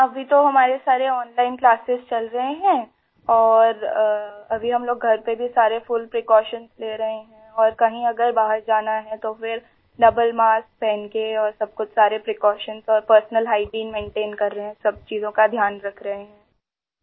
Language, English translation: Urdu, Yes, right now all our classes are going on online and right now we are taking full precautions at home… and if one has to go out, then you must wear a double mask and everything else…we are maintaining all precautions and personal hygiene